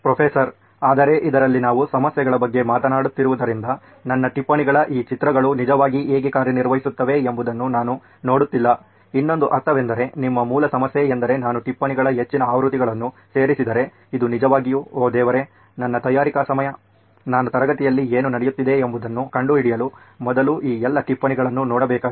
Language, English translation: Kannada, But in this again since we are talking about problems, in this I am not seeing how these pictures of my notes will actually act, I mean as another is it that your original problem that if I add too many versions of the notes, it is actually leading to Oh God, my time of preparation that I have to look through all these notes before I can figure out what is going on in the class